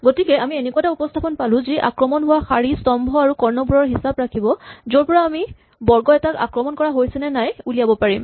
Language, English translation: Assamese, So, we can now come up with a representation which only keeps track of rows, columns and diagonals which are under attack and from that we can deduce, whether a square is under attack